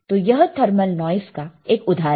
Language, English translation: Hindi, So, this is an example of thermal noise